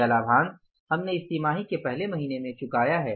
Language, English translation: Hindi, This dividend we have paid in the first month of this quarter